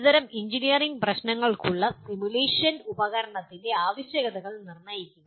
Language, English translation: Malayalam, Determine the requirements of a simulation tool for a class of engineering problems